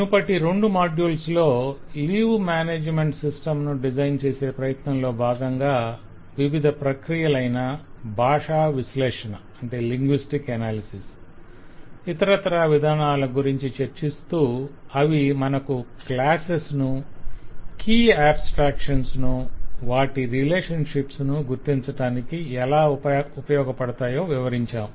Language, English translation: Telugu, in the last couple of modules we have discussed and actually worked out an exercise with a leave management system to illustrate how different linguistic and important analysis techniques can be engaged to extract the classes, the key abstractions, their relationships and so on